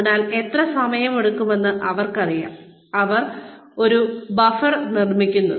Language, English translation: Malayalam, So, they know, how much time, it will take, and they build a buffer in